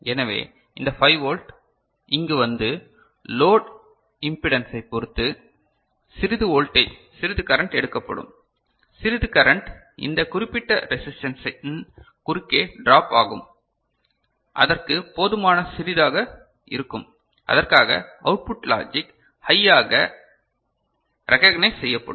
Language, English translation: Tamil, So, this 5 volt will be coming over here and depending on the load impedance or so, some voltage you know some current drawn, some current will be drop across these particular resistance for that will be sufficiently small for which the output will get recognized as logic high